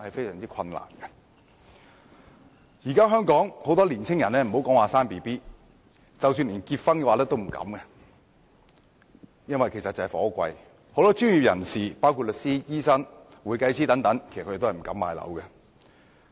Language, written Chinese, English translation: Cantonese, 現時很多年輕人別說生育，他們連結婚也不敢，原因就是樓價高昂，很多專業人士包括律師、醫生和會計師也不敢買樓。, Nowadays thanks to the exorbitant property prices many young people dare not get married let alone have kids . Many professionals including lawyers doctors and accountants dare not purchase properties